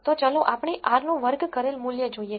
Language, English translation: Gujarati, So, let us look at the r squared value